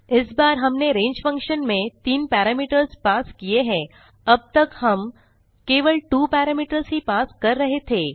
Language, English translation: Hindi, This time we passed three parameters to range() function unlike the previous case where we passed only two parameters